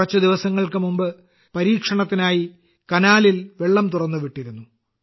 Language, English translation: Malayalam, A few days ago, water was released in the canal during testing